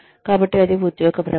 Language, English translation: Telugu, So, that is job rotation